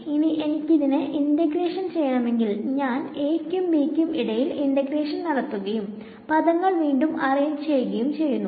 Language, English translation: Malayalam, Now if I want to integrate this so what I am going to do is let us say I do an integral from a to b and just rearrange the terms ok